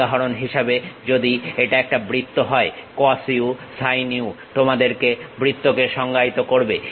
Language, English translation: Bengali, For example, if it is a circle cos u sin u defines your circle